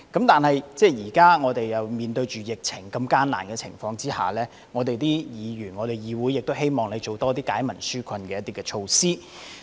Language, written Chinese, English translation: Cantonese, 但是，現時在面對疫情的艱難情況下，議會中的議員都希望"財爺"推出多些惠民紓困措施。, However in these hard times of epidemic Members in this Council hope that FS will introduce more relief measures